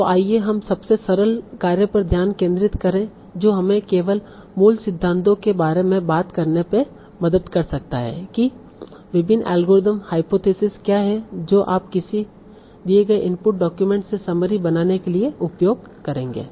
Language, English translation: Hindi, So let us focus on the simplest aspect that can help us to talk about only the fundamentals that what are the different algorithms or hypothesis that you will use for constructing a summary from a given input document